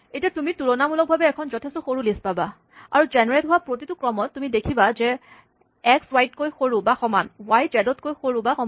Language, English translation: Assamese, And now, you will see a much smaller list and in particular you will see that, in every sequence that is generated, x is less than or equal to y is less than equal to z; you only get one copy of things like 3, 4, 5